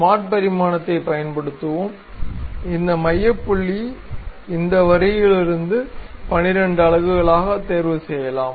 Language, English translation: Tamil, Let us use smart dimension, pick this center point to this line also 12 units